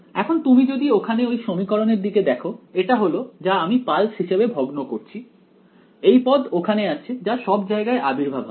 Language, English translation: Bengali, Now if you look back at this equation over here, this is what I am discretising as pulses there is this term also over here which is going to appear everywhere